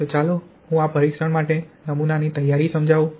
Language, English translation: Gujarati, So let me explain the specimen preparation for this test